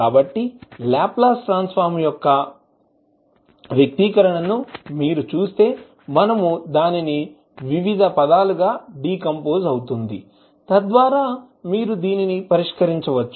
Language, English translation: Telugu, So, if you see the expression for Laplace Transform, which we decompose into various terms, so that you can solve it